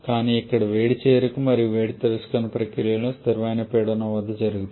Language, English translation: Telugu, But as here the heat addition processes and heat reaction process at constant pressure